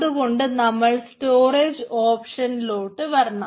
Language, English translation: Malayalam, so we will go to the storage option